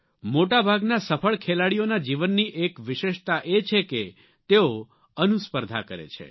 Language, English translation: Gujarati, It is a feature in the life of most of the successful players that they compete with themselves